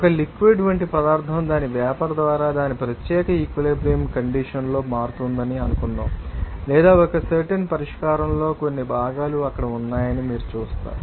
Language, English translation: Telugu, Suppose there is you know substance like liquid is, you know becoming by its vapor at its particular you know equilibrium condition or it will see that in a particular solution, you will see that some components will be there